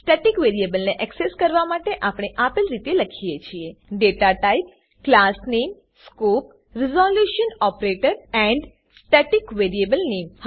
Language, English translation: Gujarati, To access a static variable we write as: datatype classname scope resolution operator and static variable name